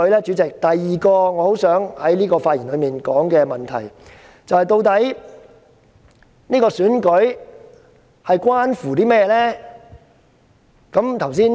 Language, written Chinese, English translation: Cantonese, 主席，第二個我很想在發言中指出的問題是：究竟這次選舉關乎甚麼呢？, President the second question I want to point out in my speech is What is the significance of this Election?